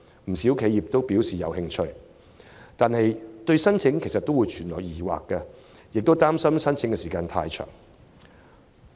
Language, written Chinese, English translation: Cantonese, 不少企業均表示有興趣，但對申請存有疑問，亦憂慮申請需時。, While quite a few enterprises have expressed interest in the product they have queries about the application and concerns over protracted processing